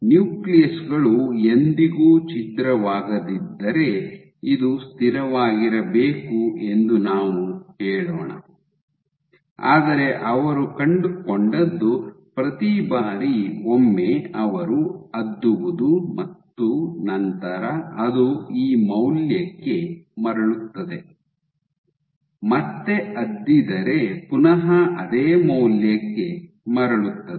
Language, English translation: Kannada, So, let us say this is the nuclear signal ideally this should be constant if the nuclei was never ruptured, but what they found was every once in a while they had a dip and then it returns to this value, again a dip and a return to the value